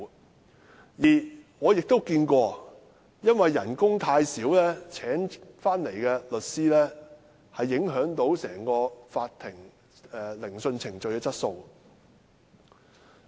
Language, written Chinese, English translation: Cantonese, 我亦遇過一些情況，因為工資太低，受聘的律師影響了整個法庭聆訊程序的質素。, I have also seen some cases where due to the low pay the lawyers employed affected the quality of the entire hearing process in court